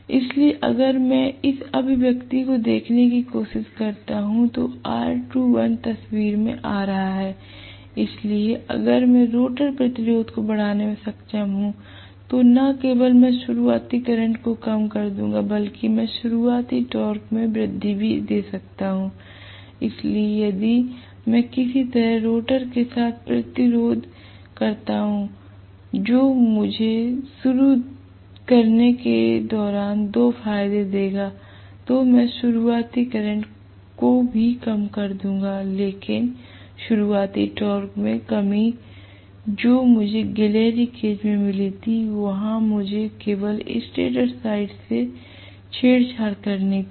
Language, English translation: Hindi, So, if I try to look at this expression, I am having R2 dash coming into picture, so if I am able to increase the rotor resistance not only do I reduce the starting current but I also give an increment to the starting torque, so if I somehow temper with rotor the resistance that will give me two advantages during starting I will bring down the starting current alright but the reduction in the starting torque what I got in squirrel cage there I had to tamper it only from the stator side, I cannot even tamper anything in the rotor side I cannot touch the rotor side, whereas here I will be able to touch definitely the rotor resistance, I will be able to modify the rotor resistance